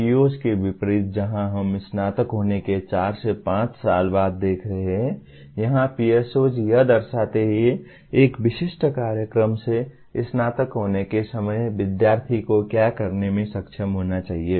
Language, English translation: Hindi, Unlike PEOs where we are looking at four to five years after graduation, here PSOs represent what the student should be able to do at the time of graduation from a specific program